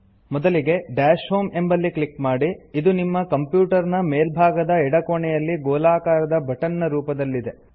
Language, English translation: Kannada, First, click Dash Home, which is the round button, on the top left corner of your computer desktop